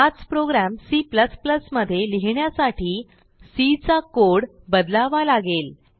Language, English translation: Marathi, If we want to write the same program in C++